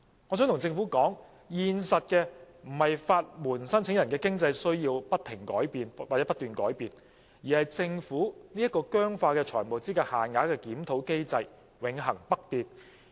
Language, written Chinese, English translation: Cantonese, 我想向政府說，現在不是法援申請人的經濟需要不斷改變，而是政府這個僵化的財務資格限額的檢討機制永恆不變。, I would like to inform the Government that it is not that the financial needs of the legal aid applicants are changing it is that this rigid review mechanism of FELs has remained unchanged eternally